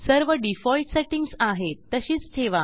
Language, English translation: Marathi, Keep all the default settings as it is